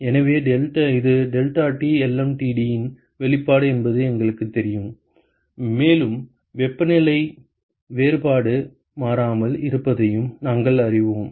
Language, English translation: Tamil, So, this is the expression for deltaT lmtd we know that and we know that the temperature difference remains constant